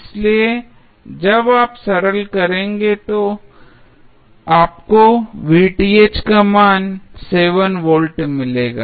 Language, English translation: Hindi, So when you will simplify you will get the value of Vth as 7 volts